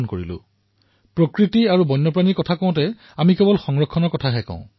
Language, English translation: Assamese, Whenever we talk about nature and wildlife, we only talk about conservation